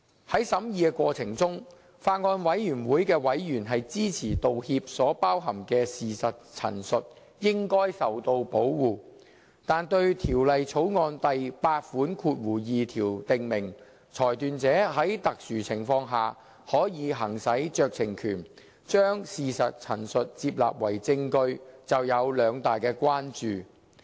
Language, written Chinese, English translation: Cantonese, 在審議過程中，法案委員會委員支持道歉所包含的事實陳述應該受到保護，但對《條例草案》第82條訂明，裁斷者在特殊情況下，可以行使酌情權，將事實陳述接納為證據，就有兩大關注。, In the course of deliberation members of the Bills Committee supported the protection of statements of fact contained in an apology . Yet they expressed two major concerns about clause 82 of the Bill in respect of the admission of statements of fact as evidence in exceptional cases at the decision makers discretion